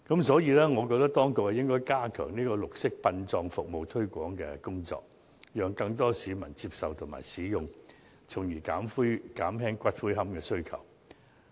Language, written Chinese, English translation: Cantonese, 所以，我認為當局應該加強綠色殯葬服務的推廣工作，讓更多市民接受和使用有關服務，從而減輕對龕位的需求。, Therefore I think the Administration should enhance the promotion of green burial so that more people would accept and use such services thereby reducing the demand for niches